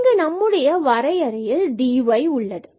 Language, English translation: Tamil, So, this is dy in our definition